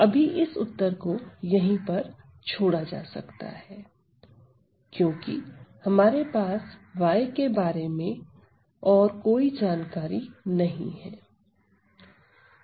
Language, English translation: Hindi, So, this answer can be left at this point because we do not have further information about y